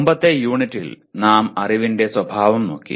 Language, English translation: Malayalam, Earlier, in the earlier unit we looked at the nature of knowledge